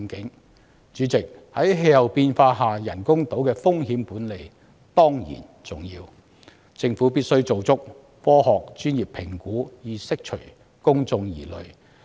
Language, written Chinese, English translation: Cantonese, 代理主席，在氣候變化下，人工島的風險管理當然重要，政府必須做足科學專業評估，以釋除公眾疑慮。, Deputy President under the circumstances of climate change risk management surrounding artificial islands is certainly important and the Government must conduct adequate scientific and professional assessment to allay public concern